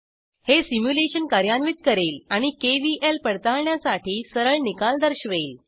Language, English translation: Marathi, This will run the simulation and directly show the results for KVL verification